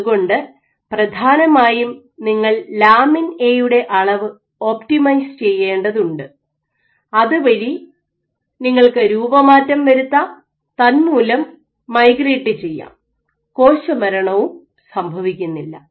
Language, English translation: Malayalam, So, essentially you need to optimize the amount of lamin A, so that you are also deformable and you can also migrate and you don’t die